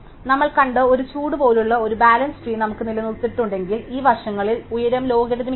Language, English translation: Malayalam, And if we have maintain some kind of a balance tree like a heat we saw, then the height is logarithmic in this sides